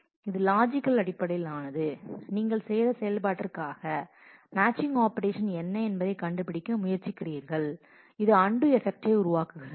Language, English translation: Tamil, It is logical that is for the operation that you have performed, you try to find out a matching operation which creates the similar effect as of undo